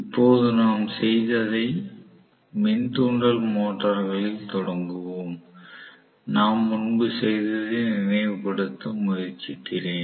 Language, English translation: Tamil, Let us, now start on the induction motors what we did; I will try to recall what we did earlier